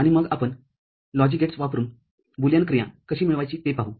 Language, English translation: Marathi, And then we shall see how to realize a Boolean function using logic gates